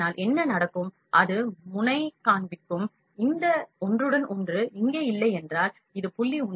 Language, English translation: Tamil, So, what will happen it will displays the nozzle, if this overlap is not here this is 0